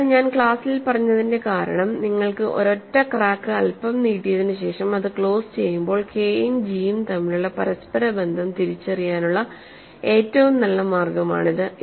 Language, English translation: Malayalam, So, that is the reason why I said in the class was, when you had a single crack extended by a little and close it, that is the best way to identify the interrelationship between k and g